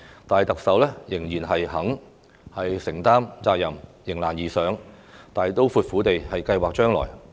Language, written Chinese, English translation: Cantonese, 但是，特首仍然肯承擔責任、迎難而上，大刀闊斧地計劃將來。, Nevertheless the Chief Executive is still prepared to shoulder the responsibility rise to challenges and plan for the future boldly and decisively